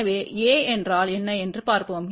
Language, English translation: Tamil, So, let us see what is A